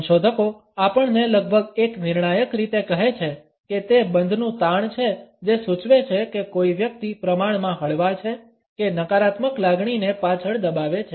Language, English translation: Gujarati, Researchers tell us almost in a conclusive fashion that it is the tension in the lock which suggest whether a person is relatively relaxed or is holding back a negative emotion